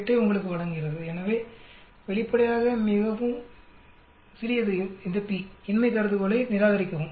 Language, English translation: Tamil, 008, as our p value so obviously, p is very small reject the null hypothesis